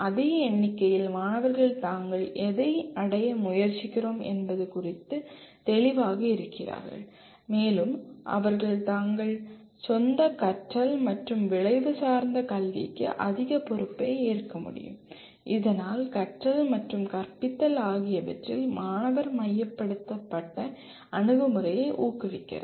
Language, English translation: Tamil, And on the same count students are clear about what they are trying to achieve and they can take more responsibility for their own learning and outcome based education thus promotes a student centered approach to learning and teaching